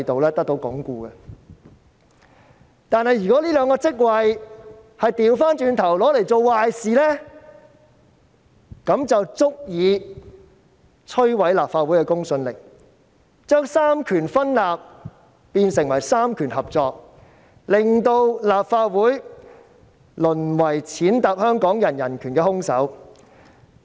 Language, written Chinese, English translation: Cantonese, 然而，當出任這兩個職位的人倒過來做壞事，便足以摧毀立法會的公信力，將三權分立變成三權合作，令立法會淪為踐踏香港人人權的兇手。, However when people who take up these two posts do bad things instead they will ruin the credibility of the Legislative Council and turn the separation of powers into cooperation of powers thereby reducing the Legislative Council to a murderer trampling on the human rights of Hong Kong people